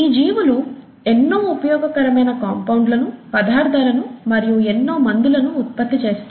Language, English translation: Telugu, These organisms produce many useful compounds, many useful substances, including a lot of medicines